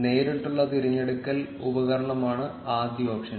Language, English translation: Malayalam, The first option is the direct selection tool